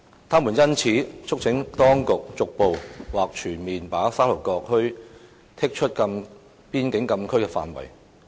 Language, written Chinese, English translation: Cantonese, 他們因此促請當局逐步或全面把沙頭角墟剔出邊境禁區範圍。, They therefore urge the authorities to excise Sha Tau Kok Town from FCA gradually or completely